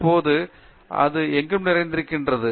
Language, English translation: Tamil, So, now it is so ubiquitous